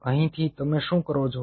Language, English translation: Gujarati, from here, what you do